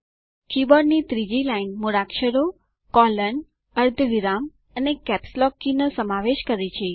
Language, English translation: Gujarati, The third line of the keyboard comprises alphabets, colon/semicolon, and capslock key